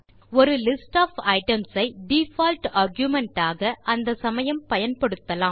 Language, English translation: Tamil, We use a list of items as the default argument in such situations